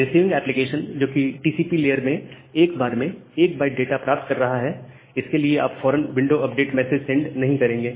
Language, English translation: Hindi, So, the receiver, receiving application fetching the data from the TCP layer 1 byte at a time for that you will not send immediate window update message